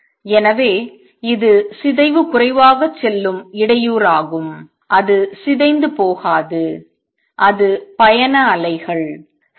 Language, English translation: Tamil, So, it is the disturbance which goes distortion less it does not get distorted that is the traveling waves